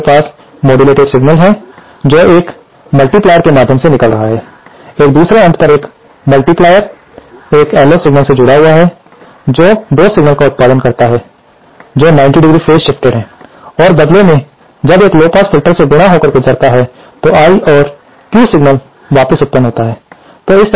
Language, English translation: Hindi, Here we have that modulated signal passing through a multiplier, the other end of the multiplier is connected to an LO signal which produces 2 signals which are 90¡ phase shifted and this in turn when multiplied lead to and pass through a lowpass filter produced the I and Q signals back